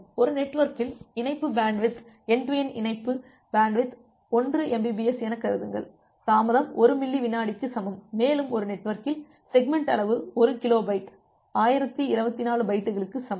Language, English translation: Tamil, So, consider a network with link bandwidth end to end link bandwidth as 1 Mbps, the delay equal to 1 millisecond and you consider a network where as segment size is 1 kilo byte equal to 1024 bytes